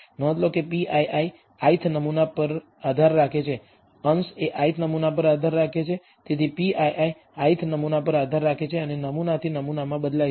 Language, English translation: Gujarati, Notice that p ii depends on the i th sample, numerator depends on the i th sample, therefore p ii depends on the i th sample and varies with sample to sample